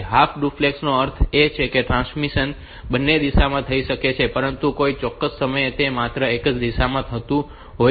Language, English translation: Gujarati, Half duplex means that transmission can take place in both the directions, but any at any point of time